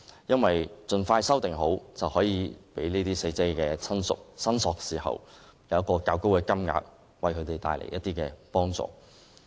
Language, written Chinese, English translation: Cantonese, 因為盡快完成修訂，便可讓死者親屬申索時得到一個較高的金額，為他們帶來一些幫助。, The faster we finish the amendment the faster we can award a higher sum of compensation to relatives of the deceased and give them some more help